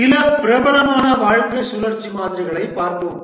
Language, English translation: Tamil, Let's look at some popular lifecycle models